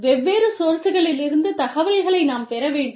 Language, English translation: Tamil, We need to draw information, from different resources